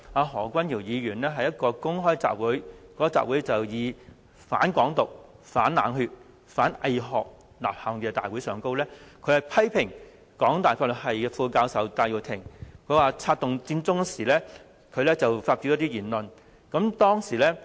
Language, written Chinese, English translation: Cantonese, 何君堯議員去年9月在一個"反港獨"、反冷血、反偽學的公開吶喊大會上，批評香港大學法律系副教授戴耀廷策動佔中時所發表的一些言論。, At the anti - independence anti - cold - bloodedness anti - bogus academic rally held on September last year Dr Junius HO criticized some of the remarks made by Prof Benny TAI Associate Professor of the Department of Law of the University of Hong Kong during the Occupy Central movement